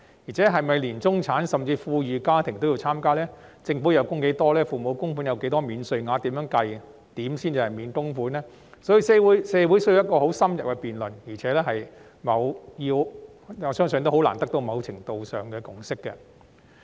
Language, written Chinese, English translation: Cantonese, 再者，中產甚至富裕家庭是否都要參加；政府需要供款多少；父母要供款多少才享有若干免稅額，以及該如何計算才能免供款，這些社會都需要進行很深入的辯論，亦相信難以達致某程度的共識。, Furthermore the questions on whether all middle - class and even well - off families should participate; how much the Government should contribute; how much parents should contribute before they are entitled to certain tax allowances and how much is needed to be exempted from contributions will require in - depth discussions in the community and it is unlikely for a certain degree of consensus to be reached